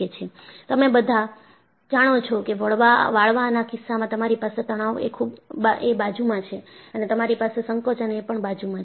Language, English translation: Gujarati, And, you all know in the case of a bending, you have a tension side and you have a compression side